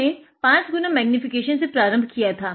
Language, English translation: Hindi, We started at 5 x magnification